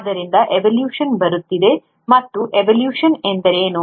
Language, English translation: Kannada, So coming to evolution, and what is evolution